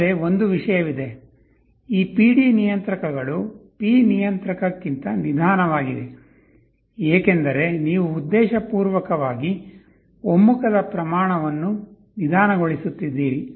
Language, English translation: Kannada, But one thing is there; these PD controllers are slower than P controller, because you are deliberately slowing the rate of convergence